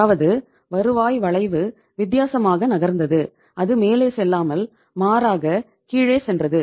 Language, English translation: Tamil, Or the yield curve was say moving differently, it was not going up but rather it was going down